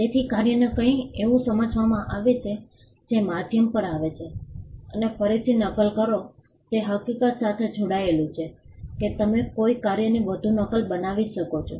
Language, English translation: Gujarati, So, work is understood as something that comes on a medium and copy again it is tied to the fact that you can make a further copy of a work